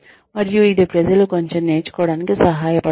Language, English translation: Telugu, And, that helps people learn quite a bit